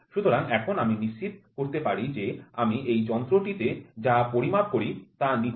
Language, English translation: Bengali, So, that now I can make sure whatever I measure in this instrument is perfect